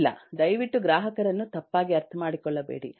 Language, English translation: Kannada, no, please do not misunderstand the customer